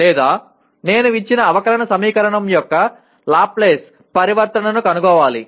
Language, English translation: Telugu, Or I have to find a Laplace transform of a given differential equation